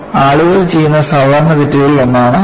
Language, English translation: Malayalam, This is one of the common mistakes people do